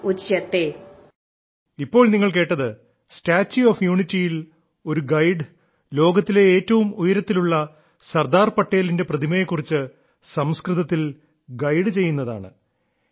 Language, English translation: Malayalam, Actually, what you were listening to now is a guide at the Statue of Unity, informing people in Sanskrit about the tallest statue of Sardar Patel in the world